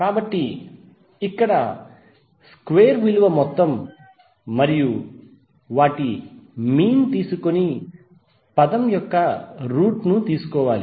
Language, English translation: Telugu, So here square value is there to sum up and take the mean and take the under root of the term